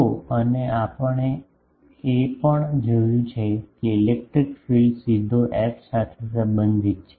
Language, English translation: Gujarati, So, and also we have seen that the electric field is directly related to f